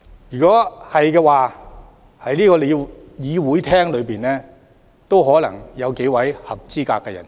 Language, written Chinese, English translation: Cantonese, 若然如此，在這個會議廳內也可能有數位合資格人士。, If so there are a few in this Chamber who may also be eligible